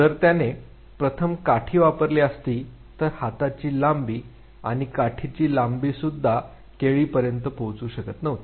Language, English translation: Marathi, If he would have use the first stick, so the length of the hand plus the length of the stick still would not reach the banana